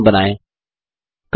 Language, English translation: Hindi, Create a new background